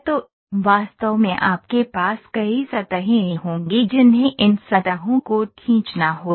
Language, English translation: Hindi, So, in reality you will have many surfaces which these surfaces has to be has to be drawn